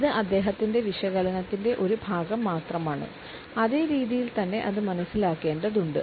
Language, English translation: Malayalam, It is a part of his analysis only and has to be perceived in the same manner